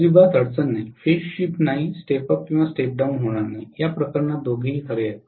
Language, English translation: Marathi, There is no problem at all, no phase shift, no step up or step down, both are true in this case